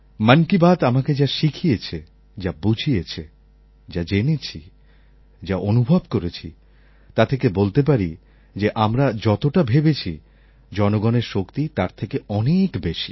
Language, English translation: Bengali, But with Mann Ki Baat whatever I was taught, whatever I was explained and the experiences I had, made me realize that the power of the people is limitless and it far exceeds our thinking